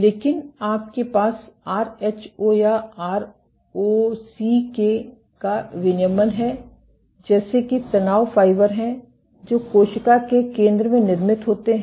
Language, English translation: Hindi, But you have up regulation of Rho or ROCK such that there is stress fibers which are built up in the center of the cell